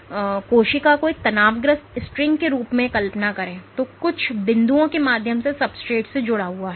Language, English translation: Hindi, So, imagine the cell as a tensed string which is anchored to the substrate via multiple points